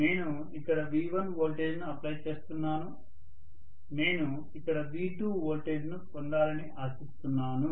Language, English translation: Telugu, And I am applying a voltage of V1 here, I am expecting that a voltage of V2 I should get here